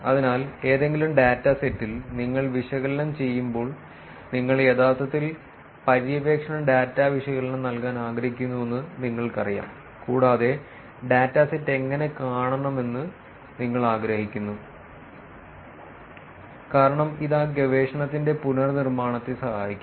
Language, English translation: Malayalam, So, in any data set, when you analyze, first you know you want to actually provide exploratory data analysis, and you want to provide what the data set looks like, because this will help reproducibility of that research